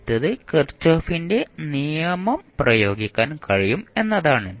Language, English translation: Malayalam, First is that you can simply apply kirchhoff’s law